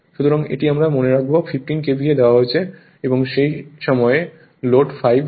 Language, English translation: Bengali, So, this we will keep in mind your rated KVA 15 is given and at that time load is 5